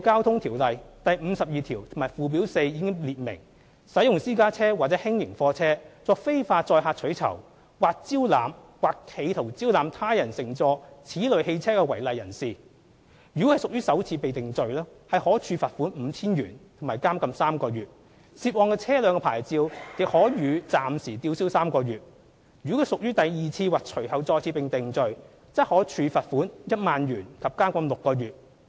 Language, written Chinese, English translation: Cantonese, 《條例》第52條及附表4已列明，使用私家車或輕型貨車作非法載客取酬；或招攬或企圖招攬他人乘坐此類汽車的違例人士，如屬首次被定罪，可處罰款 5,000 元及監禁3個月，涉案車輛的牌照亦可予暫時吊銷3個月；如屬第二次或隨後再次被定罪，則可處罰款 10,000 元及監禁6個月。, Section 52 and Schedule 4 of RTO stipulate that an offender who uses a private car or light goods vehicle LGV for the illegal carriage of passengers for reward or who solicits or attempts to solicit any person to travel in such vehicles is liable to a fine of 5,000 and three months imprisonment on the first conviction . The licence of the subject vehicle may also be suspended for three months . On the second or subsequent conviction the offender is liable to a fine of 10,000 and six months imprisonment